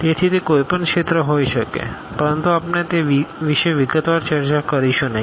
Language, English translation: Gujarati, So, it can be any field, but we are not going to discuss that into details